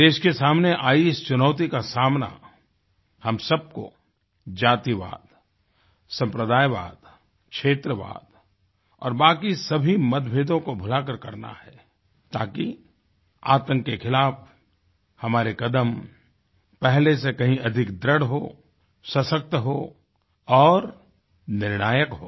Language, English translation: Hindi, We shall have to take up this challenge facing our country, forgetting all barriers of casteism, communalism, regionalism and other difference, so that, our steps against terror are firmer, stronger and more decisive